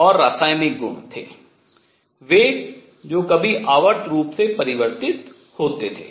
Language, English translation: Hindi, And what once it was chemical properties varied in a periodic manner